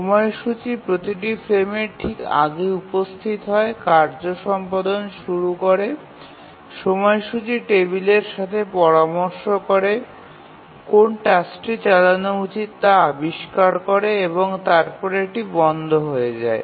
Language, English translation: Bengali, The scheduler comes up just before every frame, starts execution of the task, consults the schedule table, finds out which task to run, it runs and then it stops